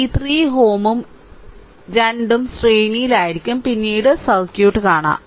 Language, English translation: Malayalam, And this 3 ohm and this 3 ohm then both will be in series later we will see the circuit right